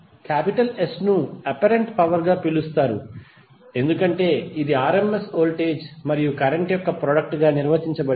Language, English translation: Telugu, S is called as apparent power because it is defined as a product of rms voltage and current